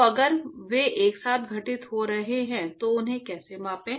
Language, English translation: Hindi, So, if they are occurring simultaneously, how to quantify them